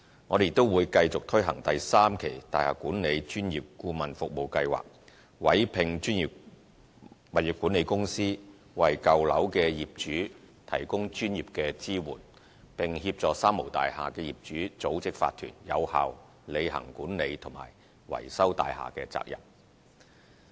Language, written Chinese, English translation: Cantonese, 我們亦會繼續推行第三期大廈管理專業顧問服務計劃，委聘專業物業管理公司，為舊樓業主提供專業支援，並協助"三無大廈"業主組織法團，有效履行管理及維修大廈的責任。, We will continue to launch the Building Management Professional Advisory Service Scheme Phase 3 . Professional Property management companies will be commissioned to provide owners of old buildings with professional support and to assist owners of three - nil buildings in organizing owners corporations so that they can effectively discharge their responsibility for managing maintaining and repairing their own buildings